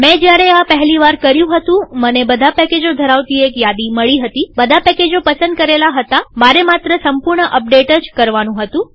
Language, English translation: Gujarati, When I did first time, I found that all the packages had been listed, all the packages had been selected, then I just go and say update the whole thing